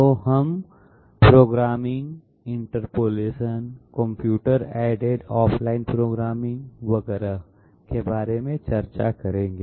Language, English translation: Hindi, So we will be discussing about programming, interpolation, computer aided off line programming, et cetera, 1st let s have one MCQ